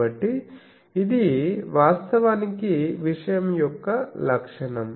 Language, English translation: Telugu, , so that actually is a characteristic of the thing